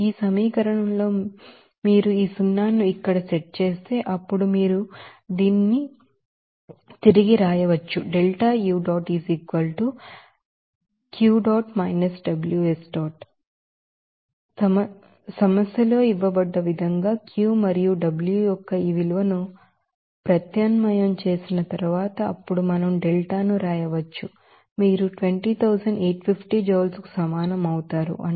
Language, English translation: Telugu, And if you set this zero here in this equation, then you can write here So, after substitution of this value of Q and W as given in the problem then we can write delta U will be equal to 20850 joule that is 20